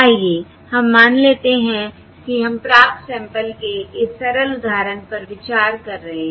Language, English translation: Hindi, Let us say we are considering this simple example of the received samples